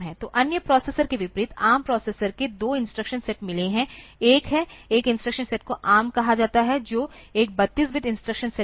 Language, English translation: Hindi, So, unlike other processors, ARM processor has got two instruction set; one is the, one instruction set is called ARM, which is a 32 bit instruction set